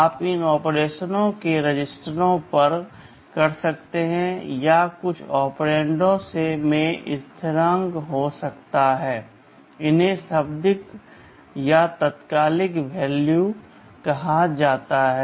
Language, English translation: Hindi, You may carry out these operations on registers, or some of the operands may be constants these are called literals or immediate values